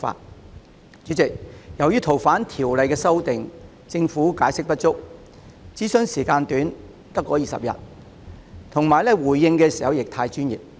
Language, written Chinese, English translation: Cantonese, 代理主席，在《逃犯條例》的修訂上，政府解釋不足，諮詢時間只有短短20天，回應時亦過於專業。, Deputy President insofar as the amendment of the Fugitive Offenders Ordinance FOO is concerned the Governments explanation is inadequate the 20 - day consultation period is too short and the responses are too technical